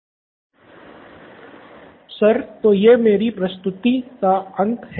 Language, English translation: Hindi, So this is the end of the presentation